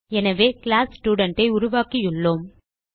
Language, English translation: Tamil, Thus We have created the class student